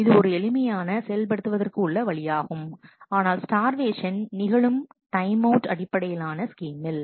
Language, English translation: Tamil, It is simple to implement, but starvation can happen in the timeout based scheme